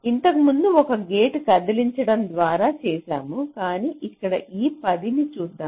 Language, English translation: Telugu, earlier we did it by moving a gate around, but here lets see this ten